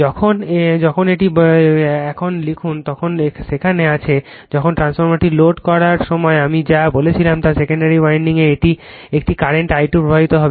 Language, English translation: Bengali, When that now there write up is there is just when the whatever I said when the transformer is loaded a current I 2 will flow in the secondary winding